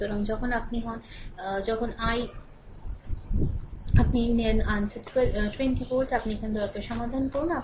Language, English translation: Bengali, So, when you are and answer is 20 volt, here also you please solve